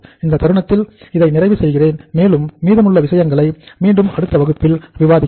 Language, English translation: Tamil, At the moment I stop here and we will uh rest of the things we will discuss in the next class